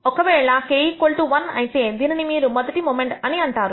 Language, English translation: Telugu, If k equals 1, you will call it the rst moment